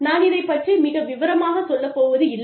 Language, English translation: Tamil, I will not get into the details